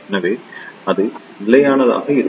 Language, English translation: Tamil, So, it will be constant